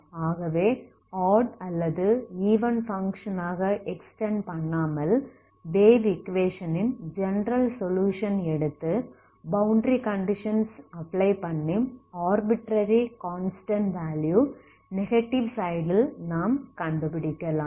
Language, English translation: Tamil, So without extending as even or odd function we can also just by looking at the general solution of the wave equation and then make use of the boundary condition for to find the arbitrary functions one in the negative side